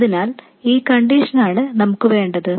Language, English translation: Malayalam, So, this is the condition that we need